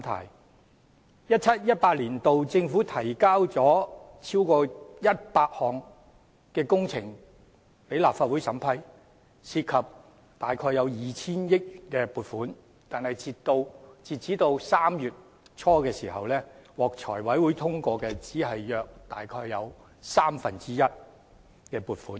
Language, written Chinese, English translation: Cantonese, 2017-2018 年度政府提交了超過100項工程予立法會審批，涉及約 2,000 億元撥款，但截至3月初，獲財務委員會通過的只有約三分之一的撥款。, In 2017 - 2018 the Government tabled over 100 projects for approval by the Legislative Council involving funding to the tune of 200 billion but as at early March approval of the Finance Committee was obtained for only about one third of the funding sought